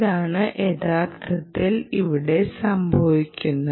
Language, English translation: Malayalam, what is actually happening